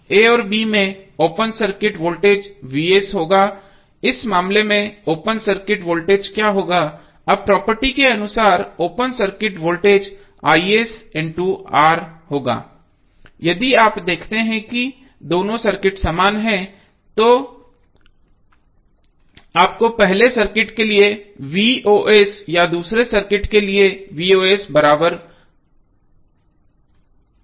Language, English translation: Hindi, Ssimilarly, in this case what would be the open circuit voltage, open circuit voltage would be is into R now as per property if you see that both of the circuits are equivalent, your V o C for first circuit or Voc for second circuit should be equal